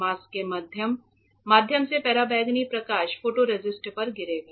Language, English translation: Hindi, Through the mask the ultraviolet light will fall on the photoresist